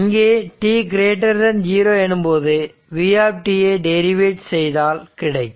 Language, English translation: Tamil, If t 0 is equal to 0, then it will be v 0 right